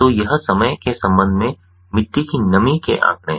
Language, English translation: Hindi, so this is the soil moisture data with respect to the time